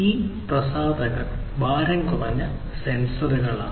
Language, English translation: Malayalam, These publishers are typically these lightweight light weight sensors